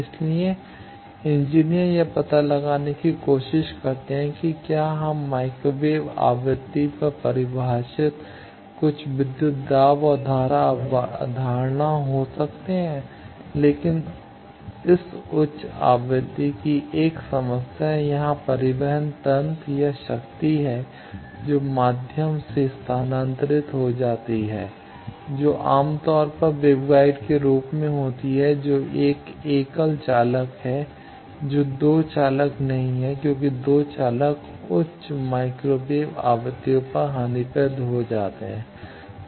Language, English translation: Hindi, So, engineers try to find that can we have some voltage and current concept defined at microwave frequency, but 1 problem of this high frequency thing is here the transport mechanism or the power that gets transferred through the medium that is generally in the form of waveguides which are a single conductor which are not 2 conductors because 2 conductors becomes losse higher microwave frequencies